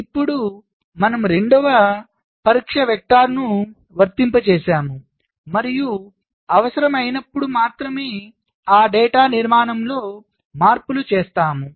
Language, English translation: Telugu, now i apply the second test vector and i make changes to those data structure only when required